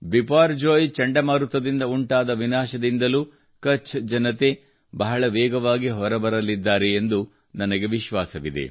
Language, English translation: Kannada, I am sure the people of Kutch will rapidly emerge from the devastation caused by Cyclone Biperjoy